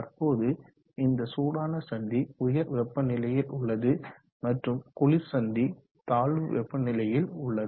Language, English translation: Tamil, Now this hot junction is at a higher temperature than the cold junction which is at a lower temperature